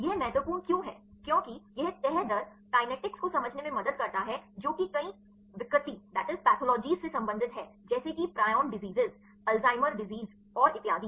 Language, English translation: Hindi, Why it is important because this folding rate helps to understand the kinetics which is related with several pathologies like the prion diseases, Alzheimer diseases and so on